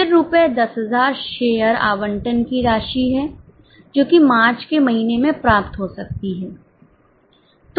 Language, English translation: Hindi, Then, €10,000 is the amount of share allotment may be received in the month of March